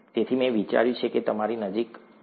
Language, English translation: Gujarati, So I thought it will be closer to you